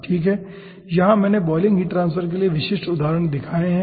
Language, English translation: Hindi, okay, here i have shown typical examples for boiling heart transfers